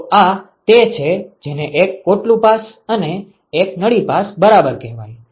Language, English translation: Gujarati, So, this is what is called one shell pass and one tube pass ok